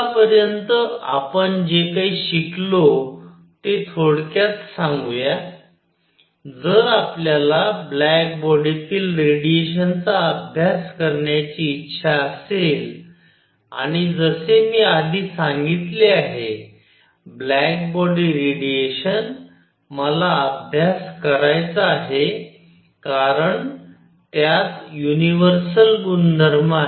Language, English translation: Marathi, So, let me summarize whatever we have learnt so far is that; if we wish to study black body radiation and as I said earlier; black body radiation, I want to study because it has a universal property